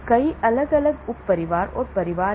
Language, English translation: Hindi, There are many different sub families and families are there